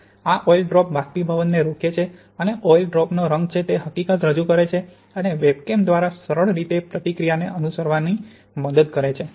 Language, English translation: Gujarati, And this oil drop presents evaporation and the fact that you have some color onto this oil drop gives you a means to follow the reaction by this simple webcam here